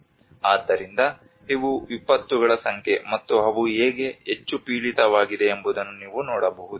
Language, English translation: Kannada, So you can see that these are the number of disasters and how they are very much prone